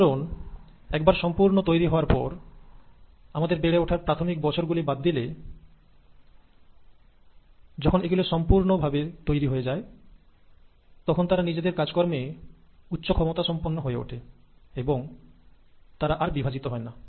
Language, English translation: Bengali, The neurons, once they have been completely formed, except for the few early years of our development, and once they have been totally formed and they have become highly efficient in their function, they do not divide